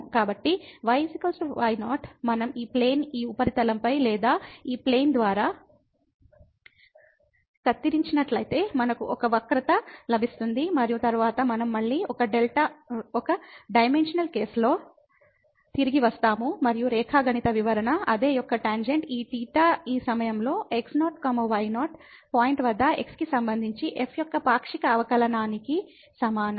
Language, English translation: Telugu, So, is equal to naught if we cut this plane over this surface or by this plane, then we will get a curve and then we have we are again back to in one dimensional case and the geometrical interpretation is same that the tangent of this theta is equal to the partial derivative of with respect to at this point naught naught